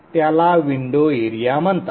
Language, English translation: Marathi, Also called the window area